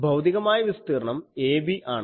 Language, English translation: Malayalam, Physical area is ab